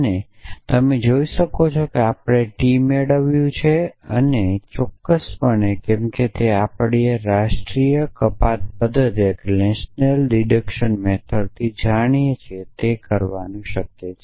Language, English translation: Gujarati, So, you can see that actually we have derived T we have actually derived T, but off course, as we know from the national deduction method that is quite possible to do that